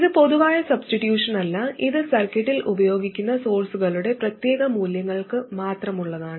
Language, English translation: Malayalam, By the way, this is not a general substitution, this is only for particular values of sources that are used in the circuit